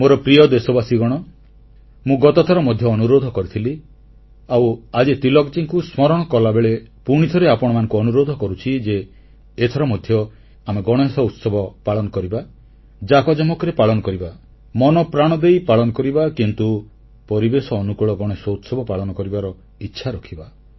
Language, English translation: Odia, I had requested last time too and now, while remembering Lokmanya Tilak, I will once again urge all of you to celebrate Ganesh Utsav with great enthusiasm and fervour whole heartedly but insist on keeping these celebrations ecofriendly